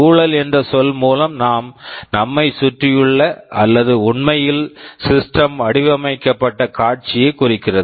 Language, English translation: Tamil, By the term environment we mean the surroundings or actually the scenario for which the system was designed